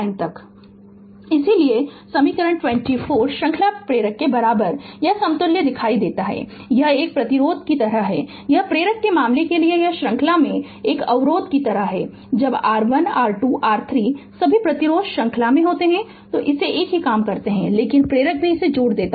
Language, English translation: Hindi, Therefore equation 24 shows the equivalent equivalent for the series inductor, it is like a resistance this for inductor case it is like a resistor in series when R1 R2 R3 all resistance are in series we add it you do the same thing, but inductor also just you add it right